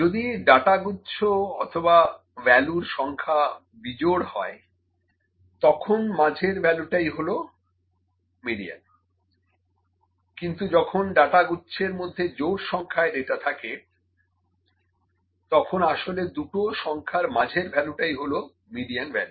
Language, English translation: Bengali, When the data set or the number of values are odd then, the middle value is the median, but when the data set contains even number of data points, the value between the 2 numbers is actually the median value